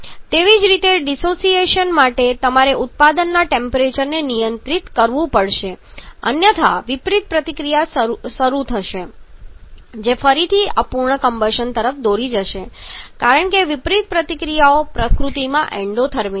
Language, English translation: Gujarati, Similarly therefore the dissociation you have to control the temperature of the product otherwise the reverse reaction will start that again will lead to an incomplete combustion because the reverse reactions are endothermic in nature